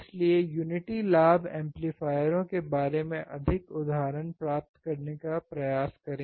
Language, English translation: Hindi, So, try to get more examples about unity gain amplifier